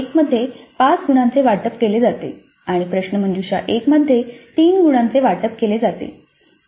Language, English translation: Marathi, In test one five marks are allocated and in quiz 1 3 marks are allocated